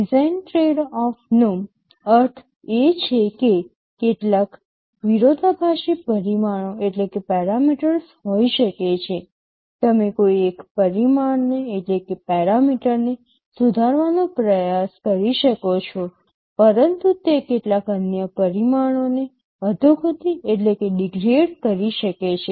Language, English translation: Gujarati, Design trade off means there can be some conflicting parameters; you can try to improve one of the parameter, but it might degrade some other parameter